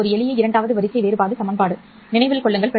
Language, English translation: Tamil, This is a simple second order differential equation